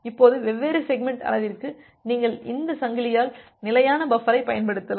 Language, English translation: Tamil, Now for variable segment size you can use this chained fixed size buffer